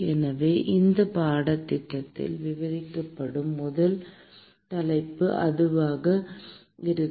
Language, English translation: Tamil, So, that will be the first topic that will be covered in this course